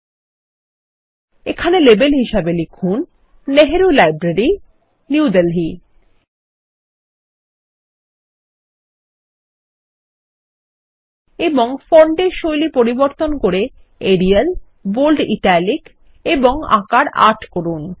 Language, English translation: Bengali, ltpausegt This time, we will type, Nehru Library, New Delhi against the label.ltpausegt and change the font style to Arial, Bold Italic and Size 8